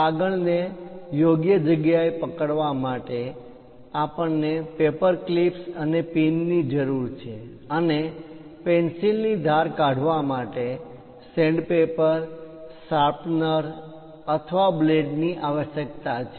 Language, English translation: Gujarati, To hold the paper, we require paper clips and pins; and to sharpen the pencil, sandpaper, sharpener, or blades are required